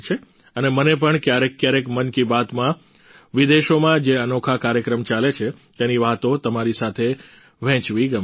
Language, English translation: Gujarati, And I also like to sometimes share with you the unique programs that are going on abroad in 'Mann Ki Baat'